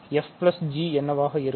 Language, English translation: Tamil, So, what would be f plus g